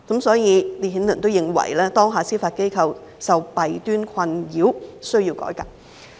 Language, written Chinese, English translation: Cantonese, "所以，烈顯倫認為當下司法機構受弊端困擾，需要改革。, LITTON thus considered that the judiciary currently plagued by its shortcomings needed a reform